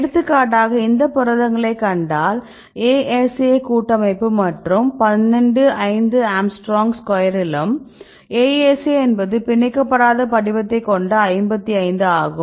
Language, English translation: Tamil, For example is we see these protein this is the ASA of this complex right as well as in 12 5 angstroms square and ASA is 55 and so on